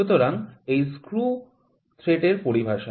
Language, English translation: Bengali, So, this is the screw thread terminology